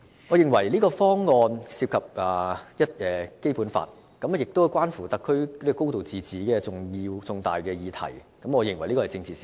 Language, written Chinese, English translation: Cantonese, 我認為方案涉及《基本法》，關乎到特區"高度自治"等重大議題，是一宗政治事件。, In my view this option involves the Basic Law and is related to significant issues like the high degree of autonomy of HKSAR and thus the whole issue is a political incident